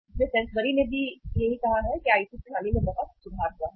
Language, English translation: Hindi, So Sainsbury also has say put in place the very improved IT systems